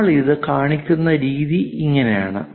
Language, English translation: Malayalam, This is the way we show it